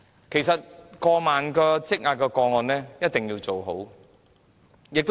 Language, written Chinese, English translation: Cantonese, 其實，過萬宗積壓個案一定要處理妥當。, In fact the backlog of over 10 000 cases has to be properly handled